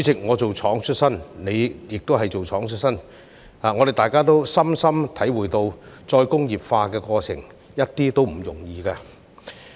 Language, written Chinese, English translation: Cantonese, 我"做廠"出身，主席亦是"做廠"出身，我們也深深體會到再工業化的過程一點也不容易。, I have the background of operating a factory and so does the President . Both of us understand very well that the process of re - industrialization is by no means easy